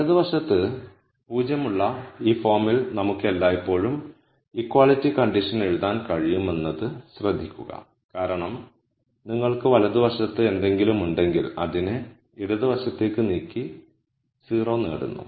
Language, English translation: Malayalam, Notice that we can always write the equality condition in this form where I have 0 on the right hand side because if you have something on the right hand side I simply move it to the left hand side and get a 0 on the right hand side